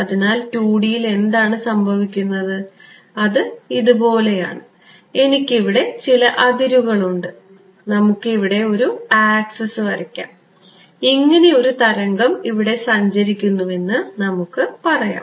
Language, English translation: Malayalam, So, what happens in 2D right so, again it is something like this, I have some boundary over here and let us draw the an axis over here and let us say that there is a wave that is travelling like this